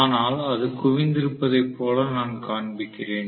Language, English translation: Tamil, But I am showing it as though it is concentrated